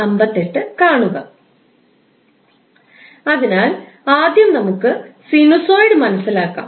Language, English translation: Malayalam, So, let's first understand sinusoid